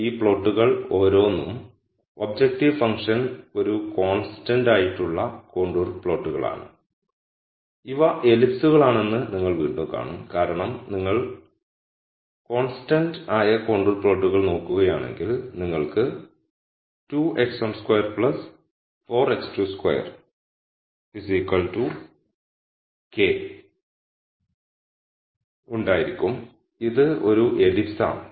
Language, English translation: Malayalam, These are plots where each of this contour is a constant objective function contour and again you would see that these are ellipses because if you look at constant contour plots then you have 2 x 1 squared plus 4 x 2 square equal k this you will see is an ellipse that is what is plotted here